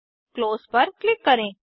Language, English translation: Hindi, Click on Close